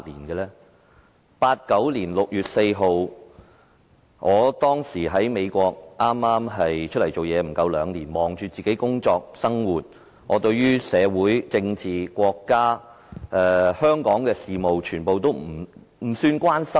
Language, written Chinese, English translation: Cantonese, 1989年6月4日，我當時在美國剛剛投身社會不足兩年，忙着自己的工作和生活，對於社會、政治、國家和香港的事務都不大關心。, Back then on 4 June 1989 I had just joined the workforce in the United States for less than two years and was busy with my work and life . I did not care too much about society politics China and Hong Kong